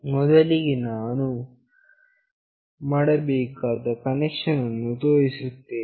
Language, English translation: Kannada, First let me show the connection that we have to do